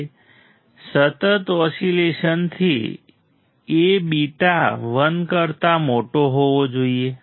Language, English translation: Gujarati, Now from sustained oscillations A beta should be greater than 1